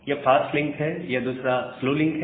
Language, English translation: Hindi, So, this is a fast link, and the second link is a slow link